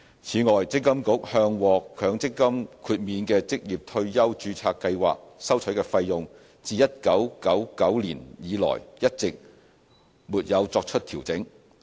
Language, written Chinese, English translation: Cantonese, 此外，積金局向獲強積金豁免的職業退休註冊計劃收取的費用，自1999年以來一直沒有作出調整。, Separately the fees charged by MPFA in relation to MPF exempted ORSO registered schemes have not been updated since 1999